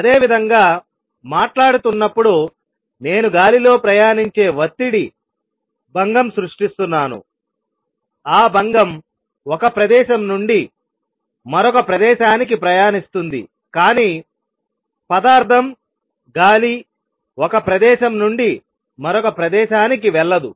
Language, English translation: Telugu, Similar, when am talking I am creating a disturbance a pressure disturbance in the air which travels; that disturbance travel from one place to other, but the material; the air does not go from one place to another